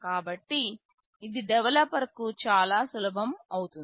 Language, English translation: Telugu, So, it becomes very easy for the developer